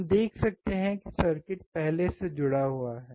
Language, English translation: Hindi, We can see that the circuit is already connected